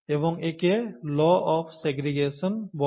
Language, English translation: Bengali, And this is called the law of segregation